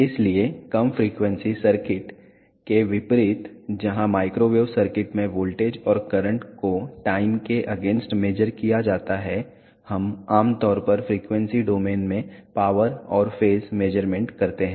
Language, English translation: Hindi, So, unlike low frequency circuits where voltage and currents are measured against time, in microwave circuits we usually make power and phase measurements in frequency domain